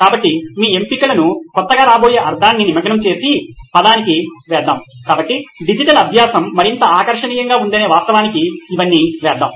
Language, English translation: Telugu, So let’s put all that down into the word of engaging meaning your options something that is coming as new so let’s put it all down into the fact that digital learning is more engaging